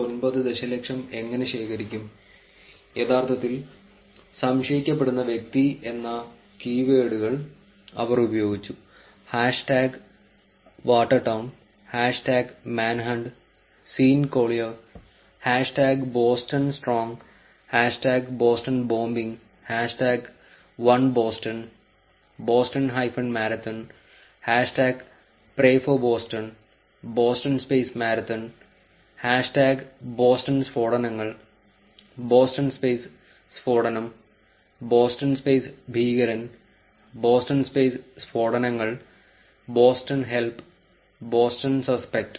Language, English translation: Malayalam, 9 million, they used the keywords called the person who was actually suspected, hash tag watertown, hash tag manhunt, Sean Collier, hash tag BostonStrong hash tag bostonbombing, hash tag oneboston, boston hyphen marathon, hash tag prayforboston, boston marathon with the space, hash tag boston blasts, boston blast with the space, boston terrorist with the space, boston explosions with the space, bostonhelp without a space, boston suspect